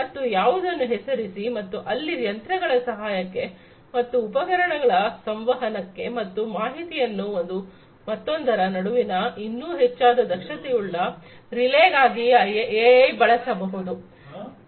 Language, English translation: Kannada, And, you name it and it is possible to use AI in order to help these machines and these equipments communicate and relay information with one another much more efficiently